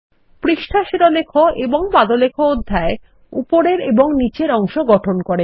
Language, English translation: Bengali, Page Header and Footer section that form the top and the bottom